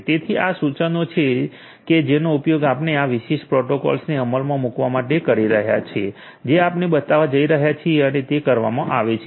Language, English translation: Gujarati, So, this is the command that you are going to use in order to execute this particular protocol that we are going to show and it is performance